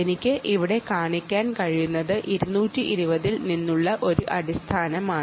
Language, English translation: Malayalam, so what i can show you here is that this is a basic from two twenty